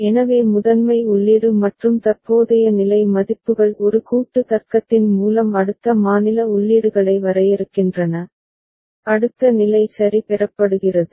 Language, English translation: Tamil, So primary input and current state values together through a combinatorial logic is defining the next state inputs and next state is obtained ok